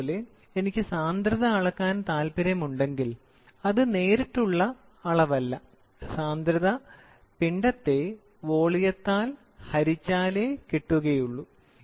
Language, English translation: Malayalam, Suppose, if I want to measure density then, it is not a direct measurement density is nothing but mass by volume